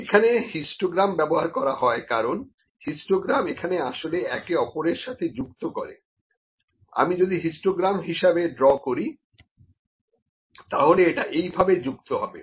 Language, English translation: Bengali, Here the histograms are used because histogram is actually connected to each other, if I draw them as a histogram it will be connected like this